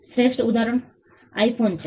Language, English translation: Gujarati, The best example is the iPhone